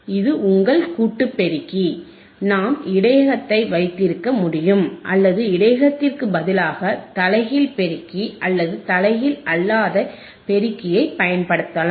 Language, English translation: Tamil, That is your summing amplifier, we can have the buffer or we can change the buffer in instead of buffer, we can use inverting amplifier or non inverting amplifier